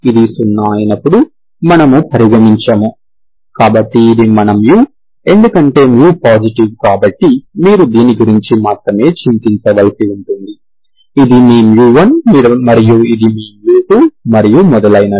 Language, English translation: Telugu, When this is 0, so we do not consider, so this is your, because mu is positive, mu is positive, so you have to worry about only this 1, this is your mu 1, this is your mu 2 and like this and so on